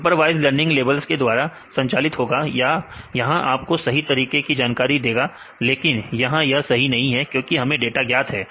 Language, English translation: Hindi, Supervised learning it will be guided by the labels right this will tell you this is the good way to do that, but this not good way to do that because we know the data